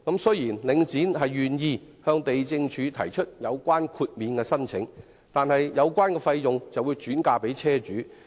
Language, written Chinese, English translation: Cantonese, 雖然領展願意向地政總署提出有關的豁免申請，但所涉費用則會轉嫁車主身上。, Although Link REIT is willing to apply to the Lands Department for waivers of the relevant land lease conditions the costs incurred will be transferred to the vehicle owners